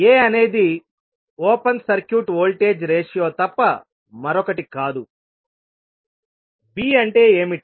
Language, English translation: Telugu, a is nothing but open circuit voltage ratio, what is b